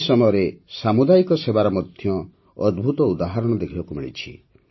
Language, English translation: Odia, During this period, wonderful examples of community service have also been observed